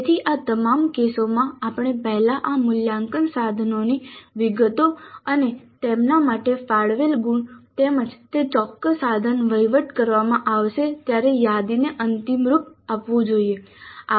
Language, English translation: Gujarati, So in all these cases we must finalize first the details of these assessment instruments and the marks allocated for them as well as the schedule when that particular instrument is going to be administered